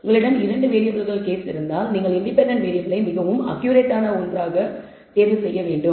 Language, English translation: Tamil, If you have a 2 variable case you should choose the independent variable as the one which is the most accurate one